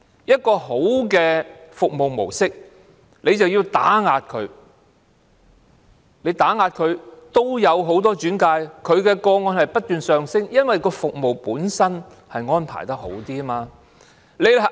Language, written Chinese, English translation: Cantonese, 一個良好的服務模式卻被打壓，即使被打壓，它仍然收到很多轉介個案，接獲的個案數目不斷上升，因為服務本身的安排比較好。, Such a good service mode has been suppressed . Despite the suppression RainLily still receives many referral cases and the number is on the rise due to its better arrangement of services